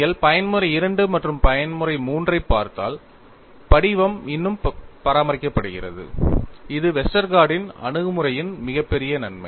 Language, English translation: Tamil, And if you look at, for Mode 2 as well as Mode 3, the form is still maintaining; that is the greatest advantage of Westergaard’s approach